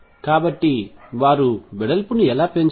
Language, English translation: Telugu, So, how did they climb up width